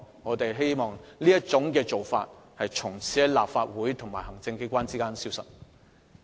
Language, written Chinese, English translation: Cantonese, 我們希望這種干預方式，從此在立法會和行政機關之間消失。, I hope that this kind of interference will disappear in the Legislative Council and the Executive Authorities from now on